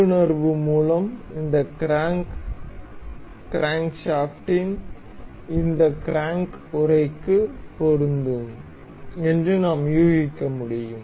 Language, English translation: Tamil, And by intuition we can guess this crank crankshaft is supposed to be fit into this crank casing